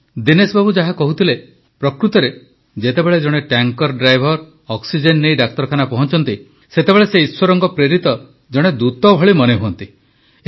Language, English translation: Odia, Friends, truly, as Dinesh ji was mentioning, when a tanker driver reaches a hospital with oxygen, he comes across as a godsent messenger